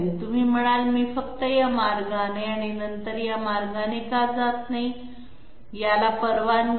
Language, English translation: Marathi, You might say, why do not I simply move this way and then this way, no this is not allowed